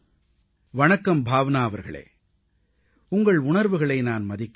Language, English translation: Tamil, Namaste Bhawnaji, I respect your sentiments